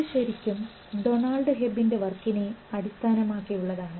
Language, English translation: Malayalam, This was actually based on Donald Hebb's work